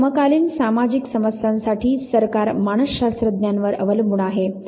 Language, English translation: Marathi, Now, government did rely on psychologist for contemporary social problems